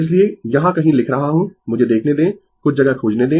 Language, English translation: Hindi, So, ah I am writing somewhere here right ah let me see find out some space